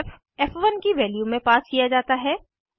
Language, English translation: Hindi, f is passed to the value of f1